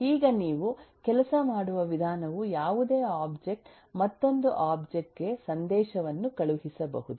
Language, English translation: Kannada, now the way you it works is any object can send message to another object